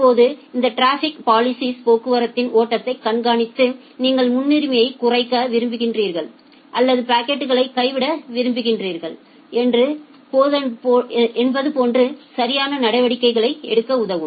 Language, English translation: Tamil, Now, this traffic policing it monitors the flow of traffic and mark them to take appropriate action, like whether you want to reduce the priority or whether you want to drop the packets and so on ok